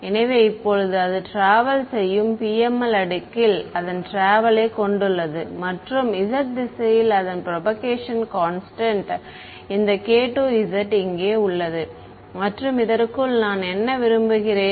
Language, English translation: Tamil, So, it has now its travelling in the in the in the PML layer it is travelling and its propagation constant along the z direction has this k k 2 z over here and a what do I want for this